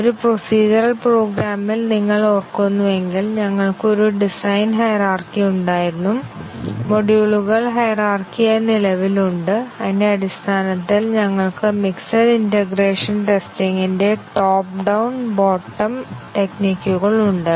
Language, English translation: Malayalam, If you remember in a procedural program, we had a design hierarchy, the modules are present hierarchically and based on that we have top down bottom of mixed integration strategies